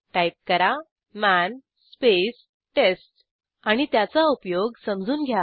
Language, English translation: Marathi, Please type man space test and explore its usage